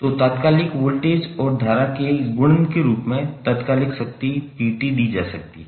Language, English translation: Hindi, So instantaneous power P can be given as multiplication of instantaneous voltage and current